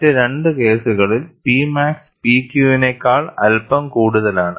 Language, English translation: Malayalam, In the other two cases, P max is slightly higher than P Q